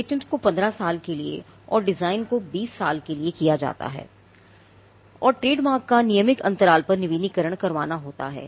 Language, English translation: Hindi, Patent patents are kept for 20 years designs for 15 years trademarks have to be kept renewed at regular intervals